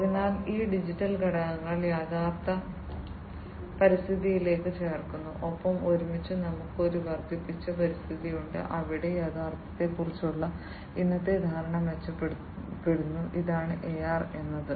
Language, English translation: Malayalam, So, these digital elements are added to the actual environment and together we have an amplified environment, where the present perception of reality is improved this is what AR is all about